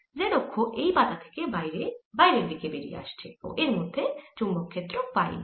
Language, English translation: Bengali, so z axis is coming out of the screen and the magnetic field in it is in the phi direction